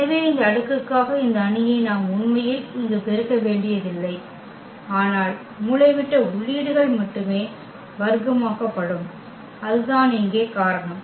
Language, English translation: Tamil, So, we do not have to actually multiply these matrices D here for this power, but only the diagonal entries will be squared and that is a reason here